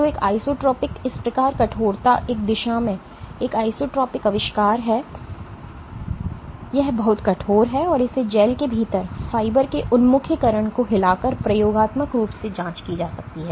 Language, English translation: Hindi, So, an isotropic thus stiffness is an isotropic invention in one direction it is very stiff and it can be experimentally probed by shaking the orientation of fibers within a gel